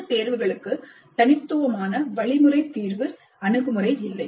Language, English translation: Tamil, And for these choices, there is no unique algorithmic solution approach